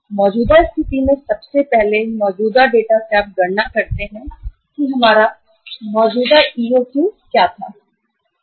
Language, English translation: Hindi, First of all from the existing situation, from the existing data you calculate what was our existing EOQ